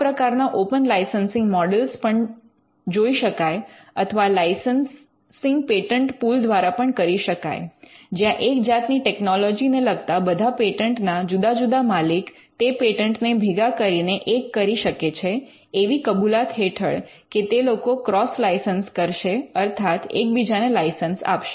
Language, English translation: Gujarati, So, there could also be open licensing models which can be explored and licensing can also come by way of pattern pools where multiple owners of patents pertaining to a particular technology pull the pattern together on an understanding that they will cross license it to each other